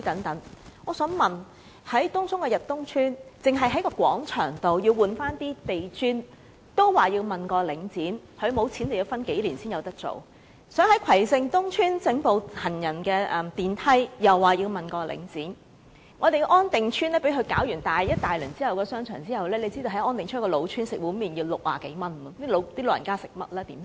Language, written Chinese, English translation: Cantonese, 但是，以東涌的逸東邨為例，居民要求更換廣場地磚，卻要請示領展，領展表示沒有資金，要等數年才能做；又例如葵盛東邨居民要求安裝行人電梯，也要請示領展；安定邨的商場被領展進行大規模裝修後，現時在那個老屋邨吃一碗麪要60多元，試問長者如何能負擔得起？, Link REIT asked the residents to wait a few years for there was no money to carry out the works now . In another example when residents of Kwai Shing East Estate requested to retrofit escalators Link REITs approval was again required . In On Ting Estate after Link REIT had carried out large - scale refurbishment works in the shopping centre people have to pay more than 60 for a bowl of noodles in that old housing estate